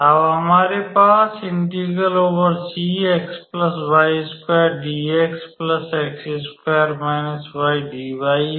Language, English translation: Hindi, So, we know that